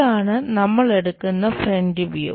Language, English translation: Malayalam, This is the front view what we will be going to see